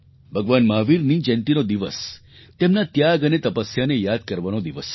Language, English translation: Gujarati, The day of Bhagwan Mahavir's birth anniversary is a day to remember his sacrifice and penance